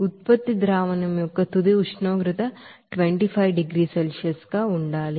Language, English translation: Telugu, The final temperature of the product solution is to be 25 degrees Celsius